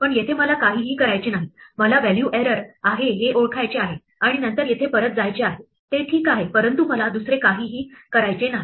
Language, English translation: Marathi, But here I want to do nothing, I want to recognize there is a value error and then go back here that is fine, but I do not want to do anything else